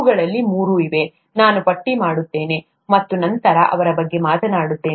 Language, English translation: Kannada, There are three of them, let me list and then talk about them